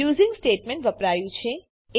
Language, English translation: Gujarati, Using statement has been used